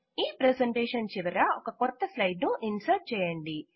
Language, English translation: Telugu, Insert a new slide at the end of the presentation